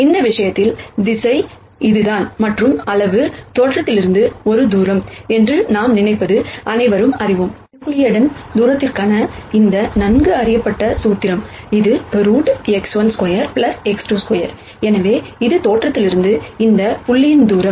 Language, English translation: Tamil, So, in this case the direction is this and the magnitude is, what we think of as a distance from the origin and in this case we all know, this well known formula for Euclidean distance, which is root of x 1 square plus x 2 2 square right